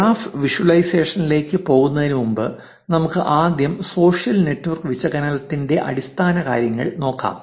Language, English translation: Malayalam, Before we move on to graph visualization, let us first look at the basics of social network analysis